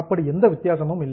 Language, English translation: Tamil, There is no difference as such